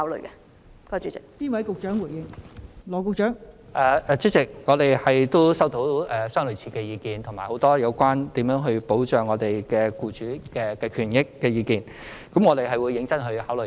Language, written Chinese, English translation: Cantonese, 代理主席，我們亦收到類似的意見及很多有關如何保障僱主權益的意見，我們會認真考慮。, Deputy President we have also received similar views and a lot of views on how to protect the interests of employers . We will consider such views seriously